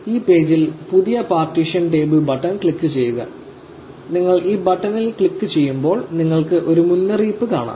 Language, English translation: Malayalam, On this page, click the new partition table button, when you click this button you will see a warning